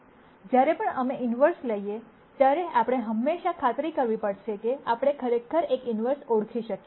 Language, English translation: Gujarati, Whenever we take inverses we have to always make sure that we can actually identify an inverse